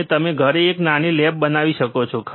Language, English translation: Gujarati, aAnd you can have a small lab at home